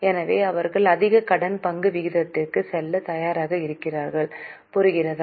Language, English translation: Tamil, So, they are willing to go for a higher debt equity ratio